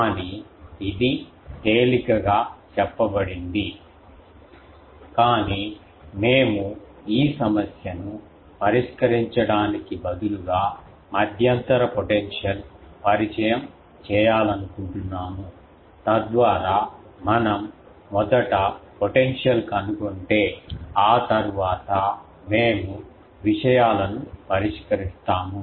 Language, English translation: Telugu, But this is easily said, but we said that instead of solving this problem we want to intermediately introduce the potential so that if we will first find the potential and after that we will solve the things